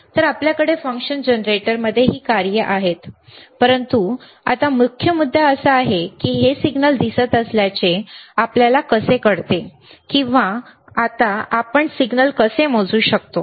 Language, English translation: Marathi, So, so, we have this functions in the function generator, but now the main point is, how we know that this is the signal appearing or how we can measure the signal now